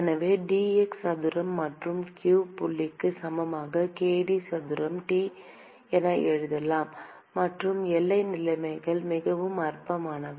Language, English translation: Tamil, And so, we can write it as k d square T by dx square plus q dot equal to 0; and the boundary conditions are quite trivial